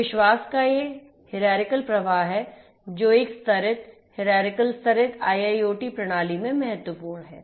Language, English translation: Hindi, So, this is this hierarchical flow of trust that is important in a layered hierarchical layered IIoT system